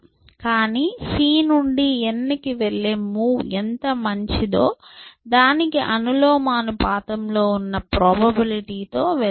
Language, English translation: Telugu, But, move to that with a probability, which is proportional to how better that move n is from c, as compare to c, how better that